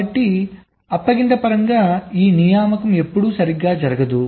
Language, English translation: Telugu, so, in terms of the assignment, this assignment will never occur, right